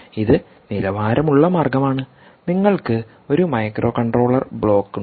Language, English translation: Malayalam, you have a microcontroller block